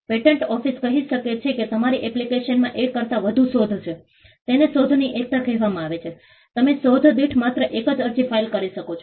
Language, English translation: Gujarati, The patent office may say that your application has more than one invention; this is called the unity of invention, that you can file only one application per invention